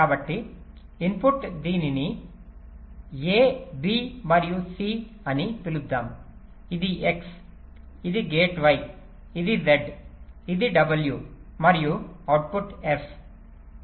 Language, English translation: Telugu, this is x, this gate is y, this is z, this is w and the output is f